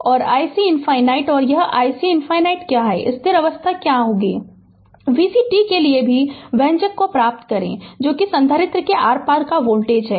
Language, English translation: Hindi, And i c infinity what is the this i c infinity, what is the steady state value also derive expression for v c t, that is the voltage across the capacitor